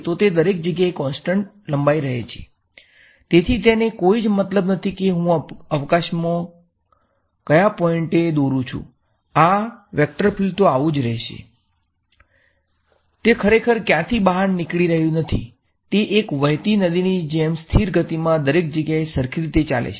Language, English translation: Gujarati, So, it is not really diverging out from anywhere, it is sort of all flowing like a river flowing in a constant speed everywhere it is going a same way